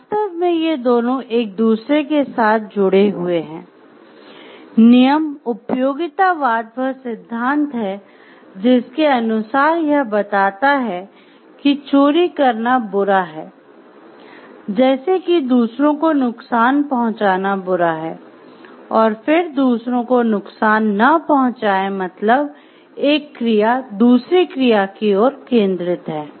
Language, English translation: Hindi, So, actually these are 2 linked with each other rule utilitarianism is the principle like which tells like it is like bad to steal, it is bad to harm others and then do not harm others, but action is focus towards the action